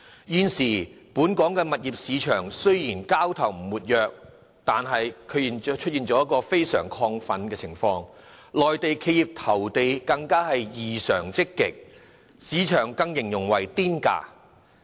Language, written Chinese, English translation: Cantonese, 現時，本港物業市場交投雖然並不活躍，但卻出現非常亢奮的情況，內地企業對投地更異常積極，市場更形容為"癲價"。, Currently the local property market is not active but is in an extremely exuberant state . Mainland enterprises have shown an exceptionally keen interest in land bidding and according to market participants the bidding prices offered are feverish